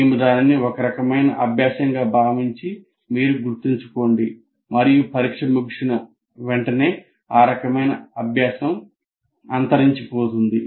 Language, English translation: Telugu, That we consider as kind of learning and that kind of learning will vanish immediately after the exam is over